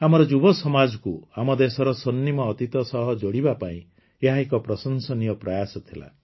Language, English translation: Odia, This is a very commendable effort to connect our youth with the golden past of the country